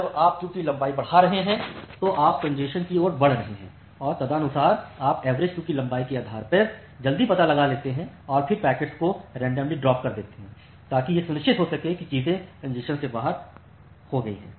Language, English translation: Hindi, So, that is why as you are increasing the queue length you are moving more towards congestion and accordingly you detect it early based on the average queue length and then randomly drop the packets to ensure that things are going out of congestion